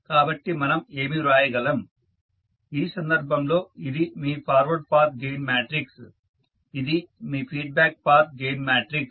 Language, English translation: Telugu, So, what we can write so in this case this is your the forward path gain matrix, this is your feedback path gain matrix